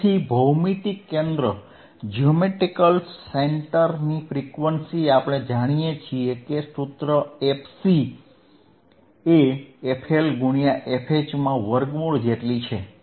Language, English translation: Gujarati, So, geometric center frequency;, we know the formula f C is nothing but square root of f L into f H right